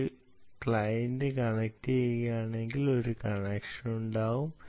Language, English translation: Malayalam, ok, if there is one client connecting, there will be one connection